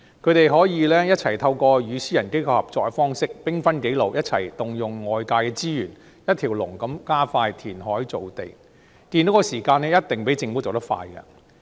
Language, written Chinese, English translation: Cantonese, 它們可以透過與私營機構合作的方式，兵分幾路，一起動用外界的資源，一條龍地加快填海造地，建屋的時間一定較政府做得快。, They may work in partnership with the private sector and branch out their efforts to tap outside resources in order to accelerate the reclamation process . The time required for housing construction will definitely be shorter this way than being handled by the Government